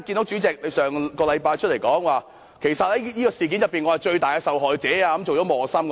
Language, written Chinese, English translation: Cantonese, 主席上星期公開表示自己是這件事的最大受害者，而且成為磨心。, Last week the President said in public that he himself was the biggest victim in this incident and he was placed in a difficult dilemma too